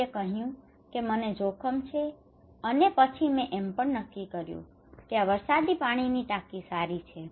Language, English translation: Gujarati, I am at risk somebody decided and then also decided that this rainwater tank is good